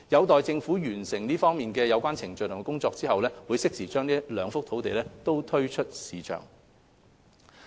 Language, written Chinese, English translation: Cantonese, 待政府完成有關程序及工作後，會適時把該兩幅用地推出市場。, Upon completion of the relevant procedures and work the two sites will be made available to the market at appropriate junctures